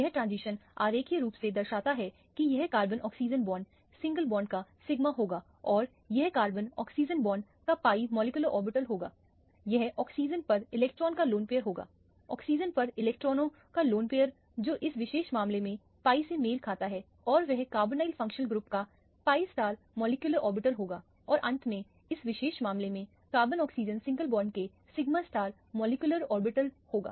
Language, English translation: Hindi, This is diagrammatically represented the transitions are diagrammatically represented here this would be the sigma of the carbon oxygen bond, single bond and this would be the pi molecular orbital of the carbon oxygen bond and this would be the lone pair of electron on the oxygen one of the lone pairs of electrons on the oxygen which corresponds to p y in this particular case and this will be the pi star molecular orbital of the carbonyl functional group and finally, the sigma star molecular orbital of the carbon oxygen single bond in this particular case